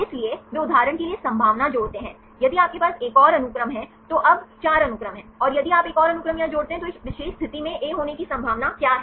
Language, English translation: Hindi, So, they add the probability for example, if you have one more sequence now there is 4 sequence if you add one more sequence here what is the probability of having A at this particular position